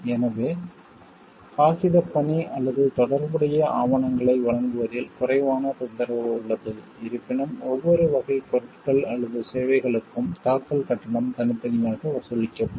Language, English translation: Tamil, So, there is less hassle of paperwork or providing relevant documents; however, filing fee will be charged separately for each class of goods or services